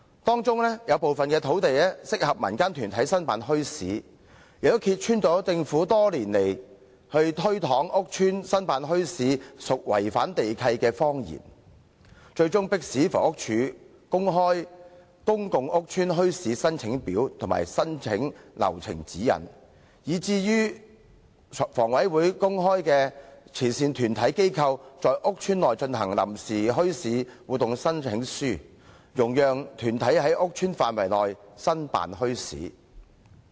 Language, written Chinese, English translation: Cantonese, 當中有部分土地適合供民間團體申辦墟市，這也揭穿了政府多年來推搪說在屋邨申辦墟市屬違反地契的謊言，最終迫使房屋署公開"公共屋邨墟市申請表及申請流程指引"，以及迫使香港房屋委員會公開"慈善團體/機構在屋邨內進行臨時墟市活動申請書"，容許團體在屋邨範圍內申辦墟市。, There are actually lands suitable for holding bazaars by community organizations . The Governments lie over the years that holding bazaars in public rental housing PRH estates will breach the land lease has been exposed . Finally the Housing Department is forced to make public the application form for setting up bazaars in PRH estates and guidelines on the application procedure and the Hong Kong Housing Authority is forced to make public the application by charity groupsorganizations for holding temporary bazaar activities in PRH estates making it possible for organizations to set up bazaars in PRH estates